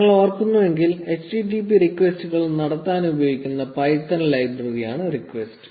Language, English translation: Malayalam, If you recall, requests is the python library, which is used to make http requests